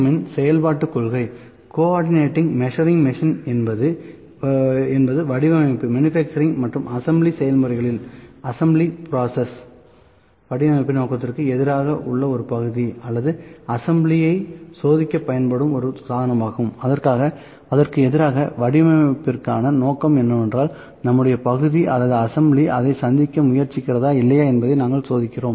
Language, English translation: Tamil, M; a co ordinate measuring machine is also a device used in manufacturing and assembly processes to test a part or assembly against the design intent, what is over intent for design against that we test whether our part or assembly is trying to meet that or not